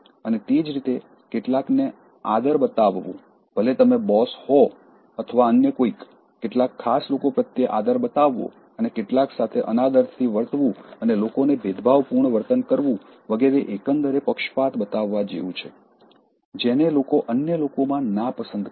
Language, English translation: Gujarati, And, similarly showing respect to some, whether you are a boss, or anybody showing respect to select people and treating some with disrespect and giving differential treatment to people so that is overall amounting to showing favoritism which people detest in others